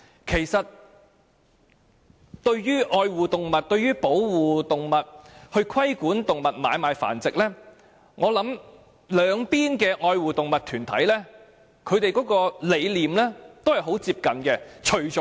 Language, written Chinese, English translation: Cantonese, 其實，對於愛護動物、保護動物及規管動物買賣繁殖，我相信愛護動物團體的理念很接近。, In relation to caring for animals protecting animals and regulating the trading and breeding of animals I believe animal protection groups have very similar ideas